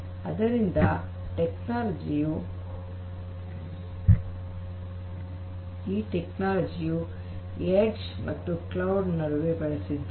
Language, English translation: Kannada, So, that is a technology that is used between the edge and the cloud